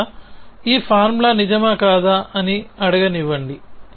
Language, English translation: Telugu, So, first let us let me ask is this formula true or not true